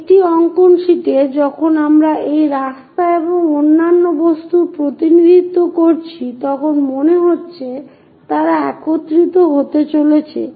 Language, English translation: Bengali, So, on a drawing sheet when we are representing these road and other objects it looks like they are going to converge